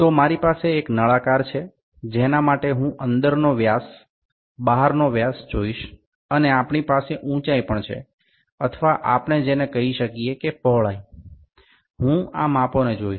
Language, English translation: Gujarati, So, now I have this cylinder, for which I like to see the internal dia, the external dia and also we have the height or what we can call it width, I like to see this dimensions